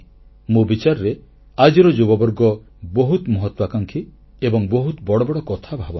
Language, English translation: Odia, We feel that the youths are very ambitious today and they plan big